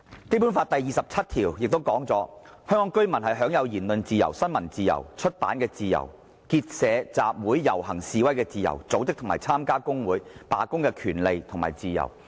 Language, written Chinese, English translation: Cantonese, "《基本法》第二十七條亦訂明："香港居民享有言論、新聞、出版的自由，結社、集會、遊行、示威的自由，組織和參加工會、罷工的權利和自由。, Article 27 of the Basic Law also stipulates that Hong Kong residents shall have freedom of speech of the press and of publication; freedom of association of assembly of procession and of demonstration; and the right and freedom to form and join trade unions and to strike